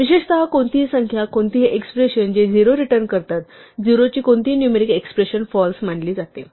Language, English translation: Marathi, In particular, any number, any expression, which returns a number 0, any numeric expression of value 0 is treated as false